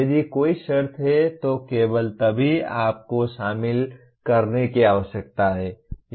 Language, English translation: Hindi, If there is a condition then only, then you need to include